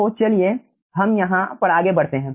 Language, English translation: Hindi, so let me do it over here